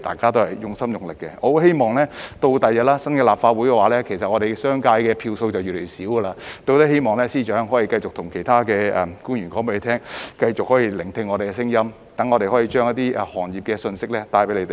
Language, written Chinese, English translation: Cantonese, 我希望日後在新一屆立法會——其實我們商界的票數將會越來越少——司長可以繼續叮囑其他官員繼續用心聆聽我們的聲音，讓我們可以將一些行業的信息帶給他們。, I hope that in the new term of the Legislative Council―actually the number of votes in the hands of the business sector will become smaller and smaller then―the Chief Secretary will continue to urge other officials to go on listening to our voices so that we can convey to them the messages from some sectors